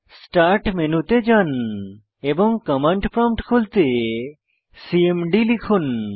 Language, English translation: Bengali, Go to Start menu and type cmd to open the command prompt